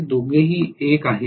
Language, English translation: Marathi, Both of them are 1